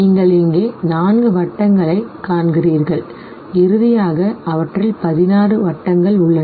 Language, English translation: Tamil, You find four circles here and finally you have 16 of them now